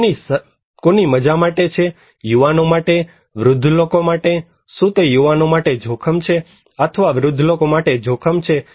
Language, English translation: Gujarati, Whose is it fun for the young people, also for the old people, is it danger for the young people or for the old people